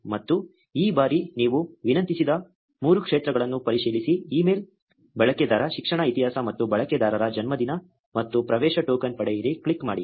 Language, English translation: Kannada, And this time check the 3 fields that you requested for, email, user education history and user birthday and click get access token